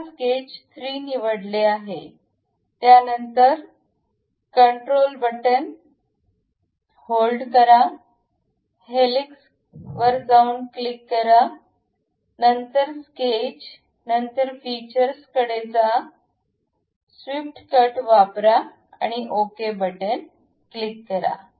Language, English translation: Marathi, Now, sketch 3 is selected, then control button, hold it, click helix, and also sketch, then go to features, use swept cut, click ok